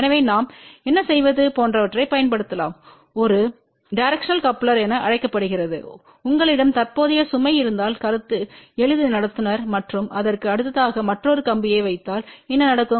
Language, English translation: Tamil, So, what we do we can use something like this which is known as a directional coupler , the concept is simple that if you have a current carrying conductor and if you put a another wire next to that so what will happen